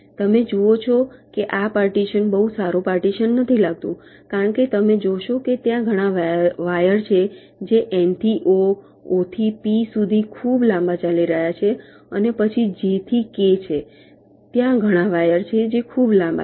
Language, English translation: Gujarati, you see, this partition does not look to be a very good partition because you see there are several wires which are running pretty long: n to o, o to p, ok, there are then j to k